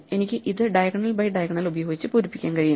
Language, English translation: Malayalam, So, I can fill it up diagonal by diagonal